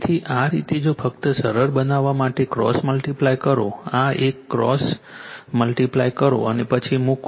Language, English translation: Gujarati, So, this way if you if you just simplify that is all right cross multiply this one you cross multiply and then you put it